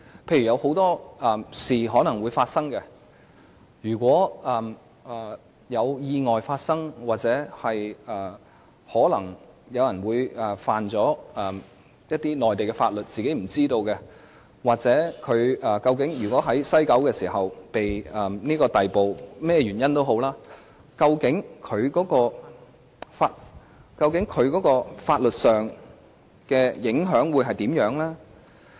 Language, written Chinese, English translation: Cantonese, 到時，很多事也可能會發生，如果發生意外，如果有人觸犯內地法律而不自知，或不論甚麼原因，例如有乘客在西九龍總站被人逮捕，究竟對於他們相關的法律規範會有甚麼影響？, By then a lot may happen . Accidents may occur someone may unknowingly break Mainland laws or a passenger may be arrested at West Kowloon Station for various reasons . How will these people be affected legally speaking?